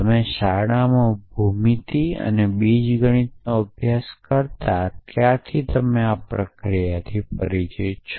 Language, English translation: Gujarati, So, you are familiar with this process having studied geometry and algebra in school